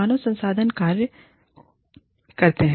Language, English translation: Hindi, Why human resources function